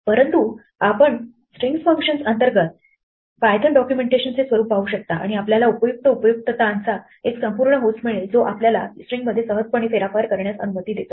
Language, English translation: Marathi, But you can look at the Python documentation look under string functions and you will find a whole host of useful utilities which allow you to easily manipulate strings